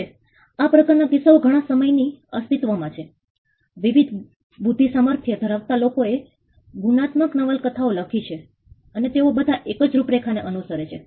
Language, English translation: Gujarati, Now, this genre has been in existence for a long time, people of different calibers have written crime novels and they all follow the same plot